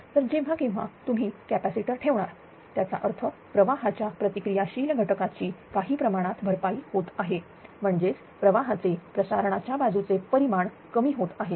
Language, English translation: Marathi, So, whenever whenever you are putting capacitors; that means, ah it is the reactive ah component of the current is getting compensated to some extent; that means, magnitude of the current on the transmission side will ah will decrease right will decrease